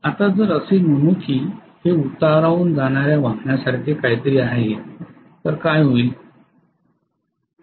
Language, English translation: Marathi, Now if let us say it is something like a vehicle which is going downhill right, what will happen